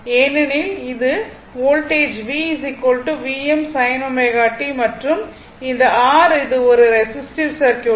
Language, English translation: Tamil, Because, this is the voltage V is equal to V m sin omega t and this is the R it is a resistive circuit